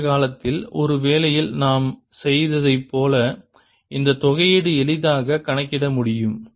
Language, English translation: Tamil, and this integral can be easily calculated as we're done in the assignment in the past